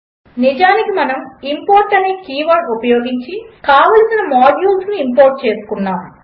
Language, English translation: Telugu, We actually imported the required modules using the keyword import